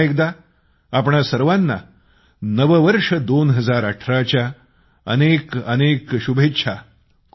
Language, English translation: Marathi, And once again, best wishes for the New Year 2018 to all of you